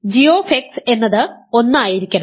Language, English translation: Malayalam, So, g x is must be 1 ok